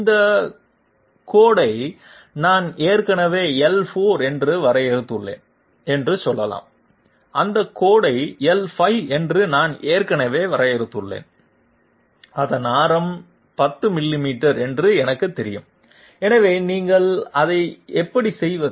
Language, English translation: Tamil, Let s say I have already defined this line to be L4 and I have already defined that line to be L5 and I know that its radius is 10 millimeters, so how do you do that